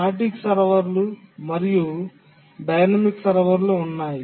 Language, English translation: Telugu, There are static servers and dynamic servers